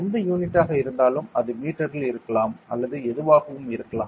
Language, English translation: Tamil, Whatever unit maybe it could be in meter or whatever it is